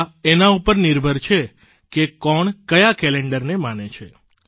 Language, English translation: Gujarati, It is also dependant on the fact which calendar you follow